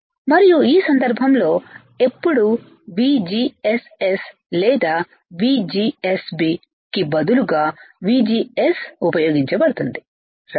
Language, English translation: Telugu, And in this case when VGS is used instead of VGSS or VGB right we are using always VGS